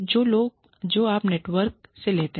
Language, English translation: Hindi, So, you take from the network